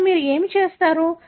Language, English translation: Telugu, Now, what do you do